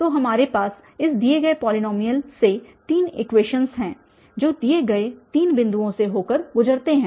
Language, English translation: Hindi, So, these are three equations we have from this given polynomial which passes through the three given points